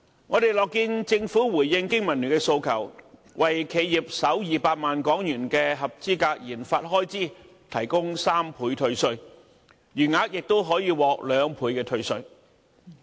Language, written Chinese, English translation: Cantonese, 我們樂見政府回應經民聯的訴求，為企業首200萬港元的合資格研發開支提供3倍退稅，餘額亦可獲兩倍退稅。, We are pleased to see that the Government has responded to the aspirations of BPA by proposing that the first 2 million eligible research and development RD expenditure will enjoy a 300 % tax deduction with the remainder at 200 %